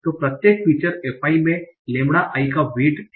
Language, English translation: Hindi, So each feature FI has a weight of lambda I